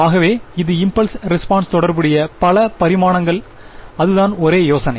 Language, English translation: Tamil, So, it will be impulse response corresponding to so many dimensions that is the only idea